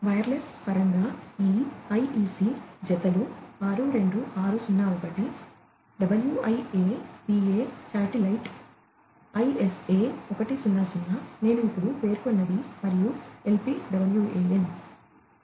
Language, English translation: Telugu, In terms of wellness this IEC pairs 62601 WIA PA, Satellite, ISA 100, which I just mentioned and LPWAN